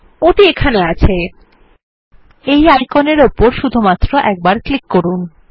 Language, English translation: Bengali, There it is, let us click just once on this icon